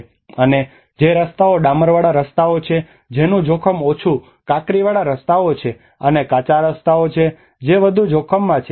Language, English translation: Gujarati, And the roads which is asphalt roads which having the low risk and gravel roads and unpaved roads which are more into the high risk